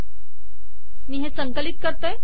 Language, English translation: Marathi, Let me compile this